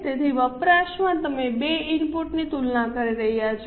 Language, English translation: Gujarati, So, in usage, you are comparing the two inputs